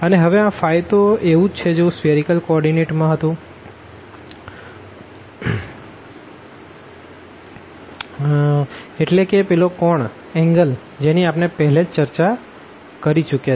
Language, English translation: Gujarati, And, now this phi is similar to what we have in the spherical coordinate that is the angle precisely this one which we have already discussed